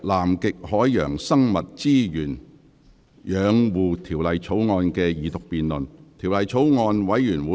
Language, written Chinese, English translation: Cantonese, 本會恢復《南極海洋生物資源養護條例草案》的二讀辯論。, This Council resumes the Second Reading debate on the Conservation of Antarctic Marine Living Resources Bill